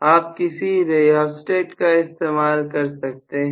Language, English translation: Hindi, You can just simply include a rheostat